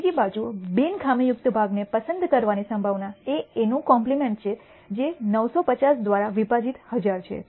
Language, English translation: Gujarati, On the other hand, the probability of picking a non defective part is the complement of this, which is 950 divided by 1,000